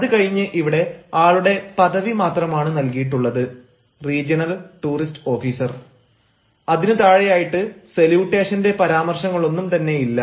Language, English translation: Malayalam, here there is only the designation of the person, regional toward his officer, and just below that there is no mention of any salutation